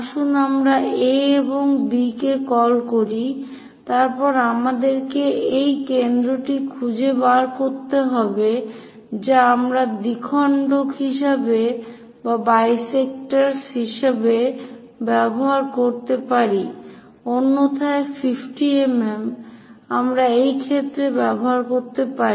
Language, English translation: Bengali, Let us call A and B; then we have to locate center which bisectors we can use it otherwise 50 mm also we can use in this case